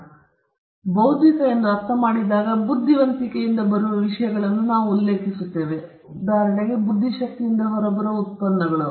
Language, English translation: Kannada, When we mean intellectual, we refer to things that are coming out of our intellect; for instance, products that come out of our intellect